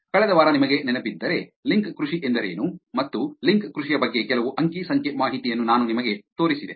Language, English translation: Kannada, If you remember last week, I showed you about what is link farming and some data about link farming